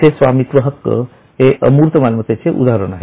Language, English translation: Marathi, Those things are an example of intangible assets